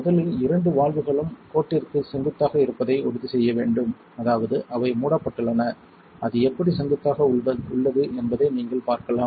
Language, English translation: Tamil, First you want to make sure these two valves right here are perpendicular to the line, that means they are closed you see how it is perpendicular